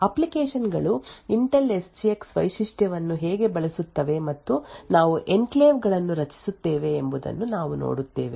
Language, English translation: Kannada, We will look at how applications would use the Intel SGX feature and we create enclaves